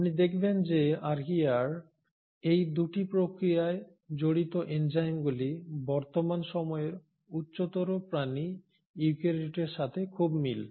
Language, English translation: Bengali, You find that the enzymes involved in these 2 processes in Archaea are very similar to the present day eukaryotes the higher end organisms